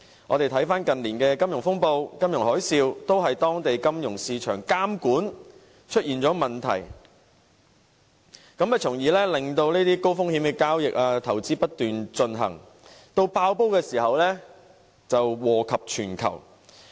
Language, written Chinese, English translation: Cantonese, 回顧近年的金融風暴、金融海嘯，我們看到皆是由於當地金融市場監管出現問題，令高風險的交易和投資不斷進行，及至"爆煲"時便禍及全球。, When we look back at the financial turmoil or financial tsunami in recent years we can see how the whole world suffered profound impact at the bursting of incessant high - risk transactions and investments resulting from regulatory problems in the local financial market